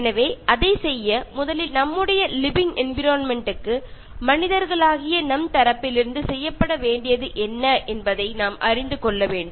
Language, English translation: Tamil, So, in order to do that, first we need to know what is it that our living environment needs to be done from our side as human beings